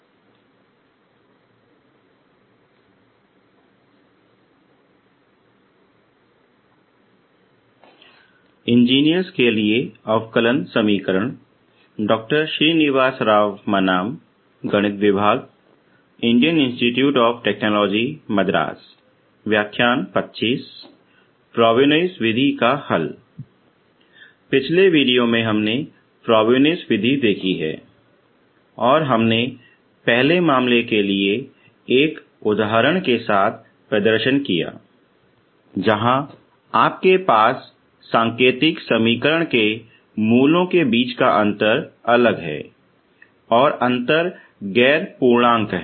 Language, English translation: Hindi, So in the last video we have seen we have seen the Frobenius method and we have explained we demonstrated with an example for the first case where you have the difference between roots of the indicial equation are distinct and the difference is non integer